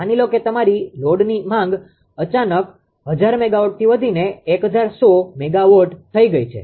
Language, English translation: Gujarati, Suppose your load demand has suddenly increased to say from 1000 megawatt to 1100 megawatt